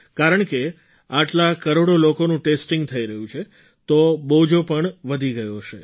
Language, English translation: Gujarati, And because so many crores of people are being tested, the burden must have also increased